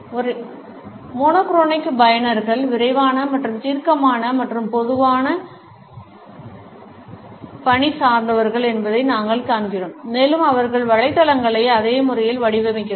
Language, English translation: Tamil, We find that monochronic users are quick and decisive and usually task oriented and they design the websites in the same manner